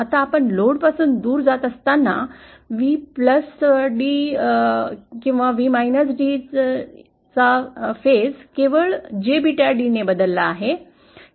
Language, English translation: Marathi, Now as we go away from the load, the phase of V+d or V d changes by jbeta d only